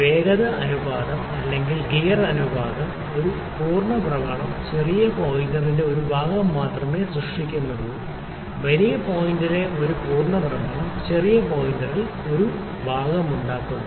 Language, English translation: Malayalam, And also the velocity ratio or the gear ratio is such that one full rotation is only making one division in the smaller pointer; one full rotation of the bigger point is making one division in the smaller pointer